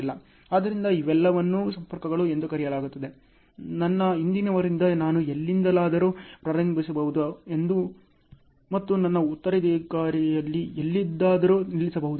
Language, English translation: Kannada, So, these are all called linkages, I can start anywhere from my predecessor and I can stop anywhere at my successor